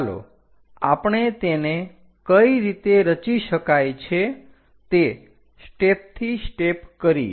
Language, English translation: Gujarati, Let us do that step by step how to construct it